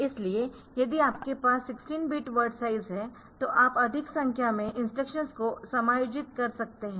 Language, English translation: Hindi, So, if you have if you having 16 bit word size then you can accommodate more number of instructions